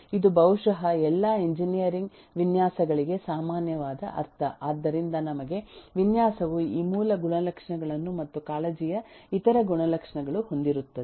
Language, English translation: Kannada, This is the meaning which is possibly common for almost all engineering designs so for us a design will have these eh basic properties and or other eh attributes of concern